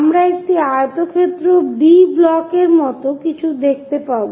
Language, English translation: Bengali, We will see something like a rectangle B block